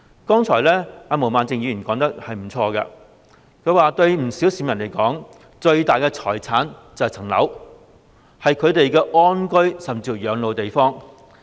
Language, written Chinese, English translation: Cantonese, 剛才毛孟靜議員說得沒錯，對不少市民而言，他們最大的財產便是自己的物業，是他們安居甚至是養老的地方。, Just now Ms Claudia MO has put it most correctly . To many members of the public their biggest asset is their property a place for living in peace and even spending their twilight years